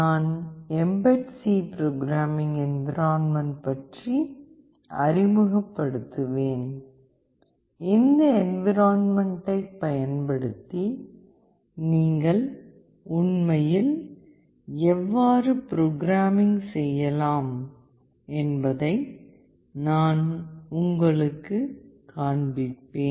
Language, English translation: Tamil, I will introduce the mbed C programming environment and I will show you that how you can actually program using this environment